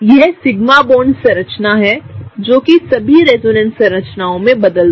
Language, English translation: Hindi, This is the sigma bond structure that did not change throughout the all the resonance structures